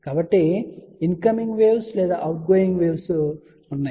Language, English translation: Telugu, So, there are incoming waves or outgoing waves